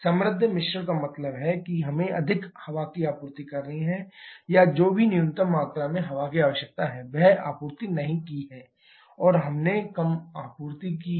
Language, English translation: Hindi, Rich mixture means we have to supply more air or whatever minimum quantity of air is required we have not supplied, that we have supplied less